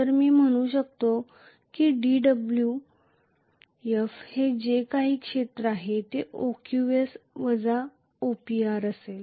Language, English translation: Marathi, So I can say delta Wf or dWf will be whatever is the area which is OQS minus OPR,Right